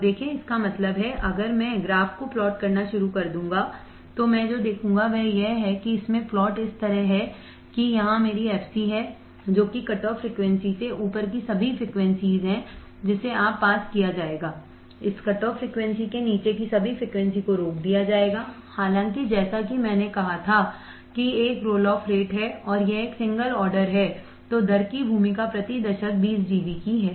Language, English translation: Hindi, So, see; that means, if I start plotting the graph what I will see is that it has plot like this where this is my f c all frequencies above cutoff frequency that will be passed, all frequencies below this cutoff frequency will be stopped; however, there is a roll off rate like I said and this is a single order then role of rate is of 20 dB per decade